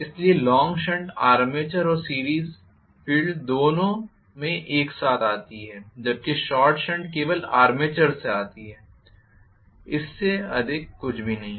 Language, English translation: Hindi, So, long shunt comes across both armature and series field together whereas short shunt comes across only the armature nothing more than that